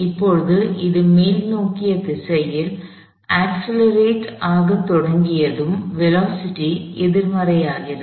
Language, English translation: Tamil, And now, begins to accelerate in the upward direction, so the velocity becomes the negative